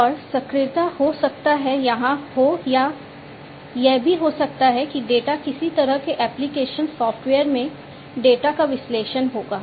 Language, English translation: Hindi, And actuation may be there or even what might so happen is the data would be the analysis of the data would be displayed in some kind of application software